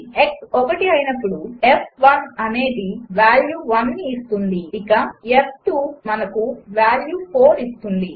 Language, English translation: Telugu, When x is one, f will return the value 1 and f will return us the value 4